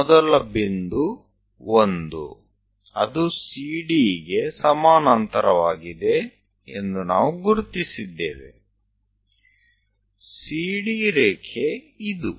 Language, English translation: Kannada, We have identified the first point is 1 parallel to CD